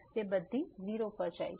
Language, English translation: Gujarati, So, this everything goes to 0